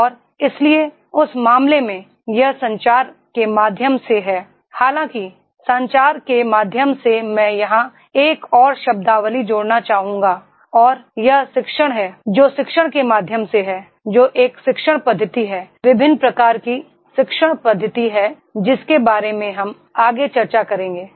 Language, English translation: Hindi, And therefore in that case this is through communication, however through communication I would like to add one more terminology here and that is the pedagogy, that is through pedagogy that is a teaching methodologies, different types of teaching methodologies which further we will be discussing, that communication process has to be used